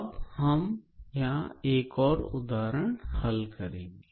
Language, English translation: Hindi, And let us consider another example